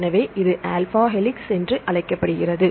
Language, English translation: Tamil, So, this is called alpha helix